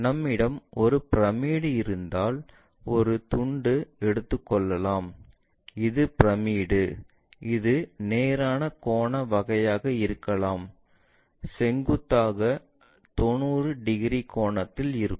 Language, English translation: Tamil, If, we have a pyramid take a slice, this is the pyramid it might be right angular kind of thing vertically making 90 degrees